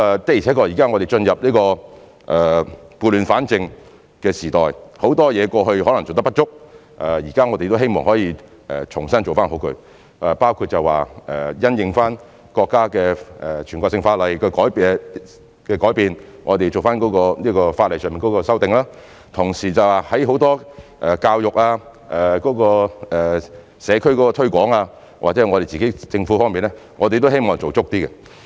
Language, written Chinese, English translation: Cantonese, 的確我們現在進入撥亂反正的時代，很多方面在過去可能做得不足，我們現在希望可以重新做好，包括因應國家的全國性法律的改變，我們在法例上作出修訂，同時在眾多如教育、社區推廣或政府方面，我們也希望做足一點。, It is true that we are now in the period of restoring Hong Kongs law and order . For those aspects that we might not have done well in the past we now hope to do them well again including amending the laws in response to the changes in the national laws of the country . Besides we also wish to do better on many fronts such as education community promotion or governance